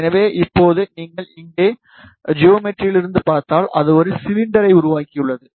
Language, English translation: Tamil, So, now if you see here from geometry itself, it has created a cylinder